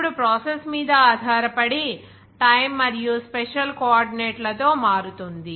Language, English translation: Telugu, Now, based on how the process varies with time and special coordinates